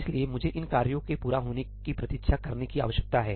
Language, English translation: Hindi, So, I need to wait for these tasks to complete